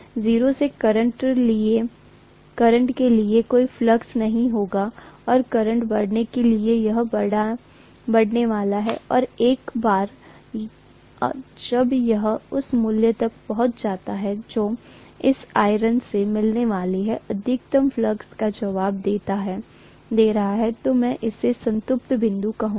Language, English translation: Hindi, For 0 current, there will not be any flux and for increasing current, it is going to increase and once it reaches whatever is the value which is responding to the maximum flux that can be encountered by this iron, I am going to have that as the saturation point, right